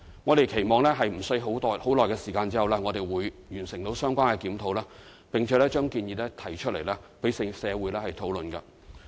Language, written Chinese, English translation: Cantonese, 我們期望在短時間內完成相關檢討，並把建議提出，讓社會討論。, We hope that we will shortly complete the related review and formulate a proposal for discussion by society